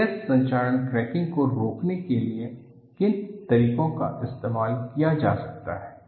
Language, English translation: Hindi, What are the methods that could be used to prevent stress corrosion cracking